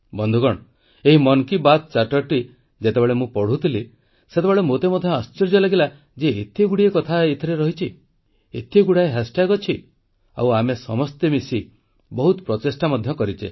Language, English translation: Odia, Friends, when I was glancing through this 'Mann Ki Baat Charter', I was taken aback at the magnitude of its contents… a multitude of hash tags